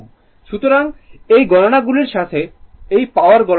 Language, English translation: Bengali, So, with these we calculated this power this power calculated